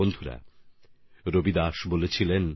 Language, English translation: Bengali, Friends, Ravidas ji used to say